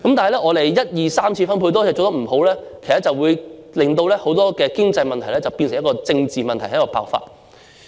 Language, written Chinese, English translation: Cantonese, 不過，當一次、二次及三次分配都做得不理想時，其實會令很多經濟問題變成政治問題，然後爆發。, But when the first second and third distributions are conducted unsatisfactorily actually many economic problems will turn into political problems which will explode later